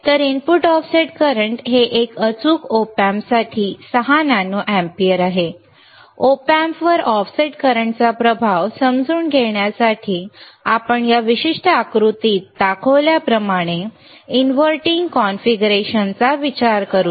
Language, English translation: Marathi, So, input offset current is nothing but 6 nano amperes for a precision Op Amp, to understand the effect of offset current on the Op Amp let us consider an inverting configuration as shown in this particular figure